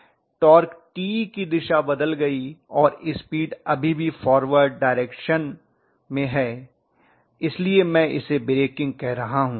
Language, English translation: Hindi, So I am going to have a reversal of torque with the speed still remaining in the forward direction so I would call it as breaking